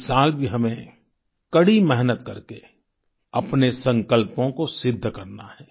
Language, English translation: Hindi, This year too, we have to work hard to attain our resolves